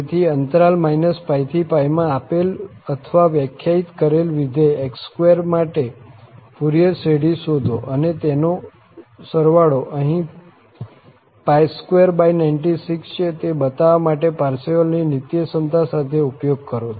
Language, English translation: Gujarati, So, find the Fourier series for this function x square given or defined in this interval minus pi to pi and use it with Parseval's Identity to show that the sum here is pi square by 96